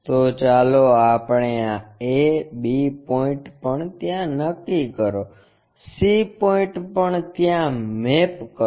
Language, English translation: Gujarati, So, let us call this is a, b point also map there, c point also maps there